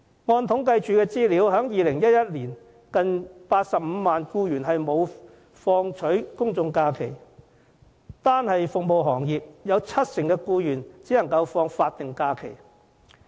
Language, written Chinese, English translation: Cantonese, 按政府統計處的資料，在2011年，近85萬名僱員沒有放取公眾假期，單是服務行業就有七成僱員只能放取法定假期。, In 2011 there were close to 850 000 employees not entitled to public holidays according to the figures of the Census and Statistics Department . In the service industry alone 70 % of the employees were entitled to statutory holidays only